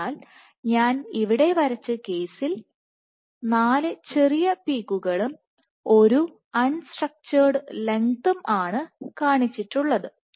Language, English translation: Malayalam, So, for the case I have drawn here, in this case I have shown 4 peaks small peaks and one unstructured length right